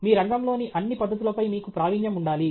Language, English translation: Telugu, You should have a mastery of all the techniques in your field